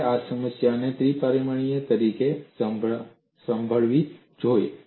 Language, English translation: Gujarati, You must handle this problem as a three dimensional one